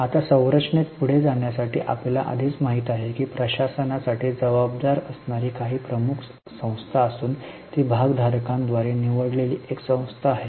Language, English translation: Marathi, Now, further into the structure, we already know there is a board that's a major body accountable for governance and that's a elected body by the shareholders